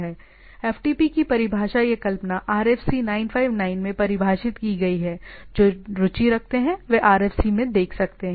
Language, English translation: Hindi, The definition or the spec of the FTP is defined in RFC959 those who are interested can look into those RFCs, RFC